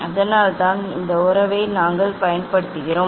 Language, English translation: Tamil, that is why we have use this relation